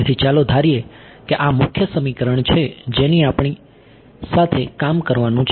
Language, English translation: Gujarati, So, this is let us assume that this is the main equation that we have to work with